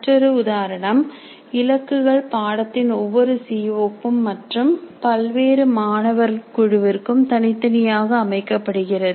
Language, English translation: Tamil, Another example can be targets are set for each CO of a course and for different groups of students separately